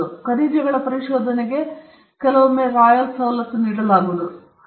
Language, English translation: Kannada, Sometimes the royal privileges could be given for exploration of minerals privileges were given